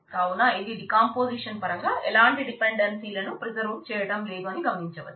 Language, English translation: Telugu, So, this will not preserve the dependencies in terms of the decomposition